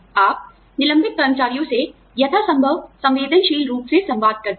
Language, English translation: Hindi, You communicate, to laid off employees, as sensitively as possible